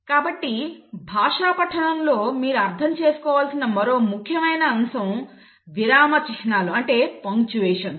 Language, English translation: Telugu, So there is another important aspect in the reading of language that you have to understand is about punctuations